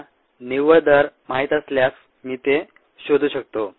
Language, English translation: Marathi, when, if i know the net rate, i can find it out